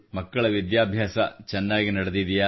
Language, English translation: Kannada, Are the children carrying on well with their studies